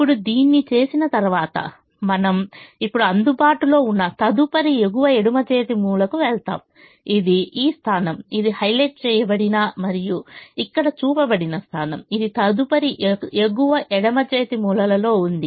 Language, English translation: Telugu, having does this, we now move to the next available top left hand corner, which is this position, which is the position that is highlighted and shown here